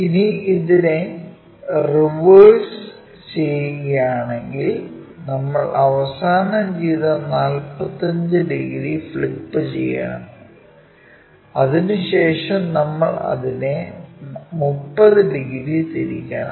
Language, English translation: Malayalam, If we want to reverse it first we have to flip that 45 degrees which we have already done then we have to turn it by 30 degrees, that is the way we have to proceed